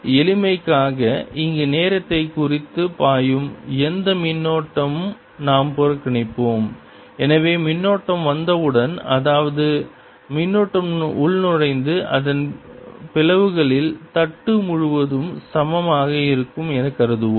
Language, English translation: Tamil, for simplicity we'll ignore we the any, the current flowing time here, so that we'll assume as soon as the current ah the charge comes in, its splits evenly throughout the plate